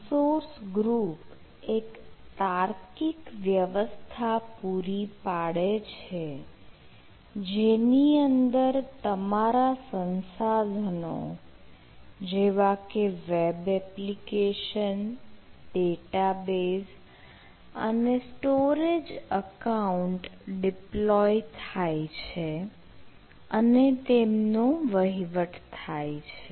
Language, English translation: Gujarati, so resource group is a logical container into which, as your resource says, like web applications, data bases and storage accounts are deployed and managed